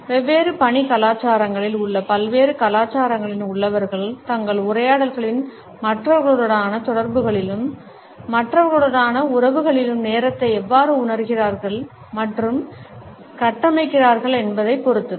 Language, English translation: Tamil, A communication based a study of time is dependent on how people in different cultures in different work cultures perceive and structure time in their interactions with other in their dialogues as well as in their relationships with others